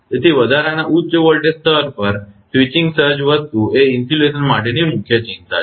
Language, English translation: Gujarati, So, at the extra high voltage level switching surge thing is the main concern for the insulation